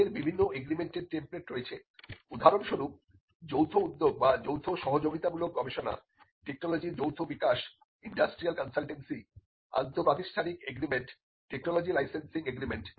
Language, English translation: Bengali, They also have templates of agreements; for instance, various agreements like a joint venture or a joint collaborative research, joint development of technology, industrial consultancy, inter institutional agreement technology licensing agreement